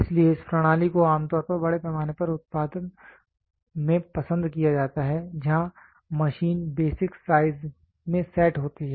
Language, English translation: Hindi, So, this system is generally preferred in mass production where the machine is set to the basic size